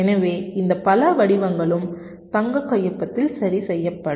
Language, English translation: Tamil, so these many patterns will also be mapping into the golden signature